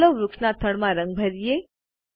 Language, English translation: Gujarati, Lets color the trunk of the tree next